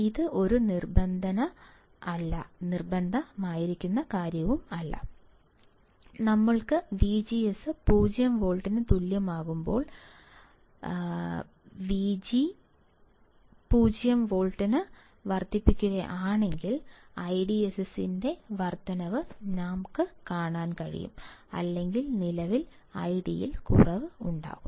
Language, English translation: Malayalam, This was a condition, when we have V G S equals to 0 volt, but if I increase V G S greater than 0 volt, I will see the increase in the I DSS or degrade in current I D